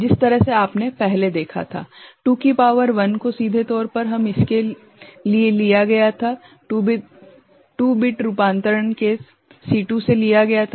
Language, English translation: Hindi, The way you had seen earlier 2 to the power 1 was directly taken for it you know, 2 bit conversion case was taken from C2